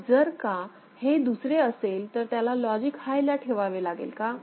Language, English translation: Marathi, So, if it is other one need to be held at logic high, why